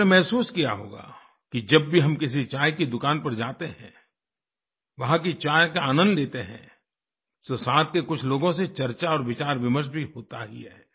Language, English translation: Hindi, You must have realized that whenever we go to a tea shop, and enjoy tea there, a discussion with some of the customers automatically ensues